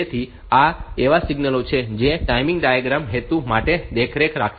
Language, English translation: Gujarati, So, these are the signals that will be monitoring for the timing diagram purpose